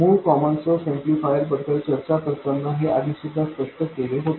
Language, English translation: Marathi, This was explained earlier while discussing the original common source amplifier